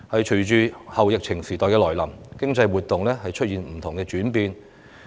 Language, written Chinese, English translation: Cantonese, 隨着後疫情時代來臨，經濟活動出現不同的轉變。, The post - epidemic times will see various changes in economic activities